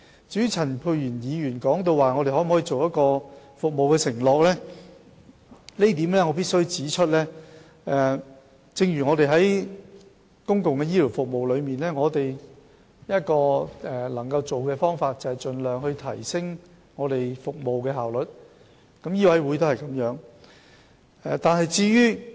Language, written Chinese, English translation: Cantonese, 至於陳沛然議員詢問我們可否制訂服務承諾，對於這一點，我必須指出，正如在公共醫療服務中，我們可採取的做法是盡量提升服務效率，醫委會亦如是。, As regards Dr Pierre CHANs question about whether we can set a performance pledge I must point out that in the case of public health care service what we do is to enhance the service efficiency as far as possible and that also applies to MCHK